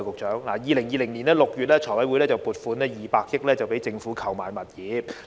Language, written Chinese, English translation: Cantonese, 在2020年6月，財務委員會通過撥款200億元讓政府購置物業。, In June 2020 the Finance Committee approved a funding of 20 billion for the Government to purchase properties